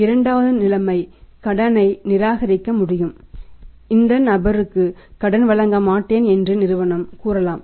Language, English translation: Tamil, Seconds situation can be reject credit, reject credit the firm can say that no will not give the credit to this person on this firm